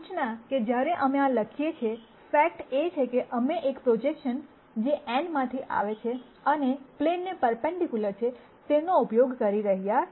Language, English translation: Gujarati, Notice that while we write this, the fact that we are using a projection comes from this n being perpendicular to the plane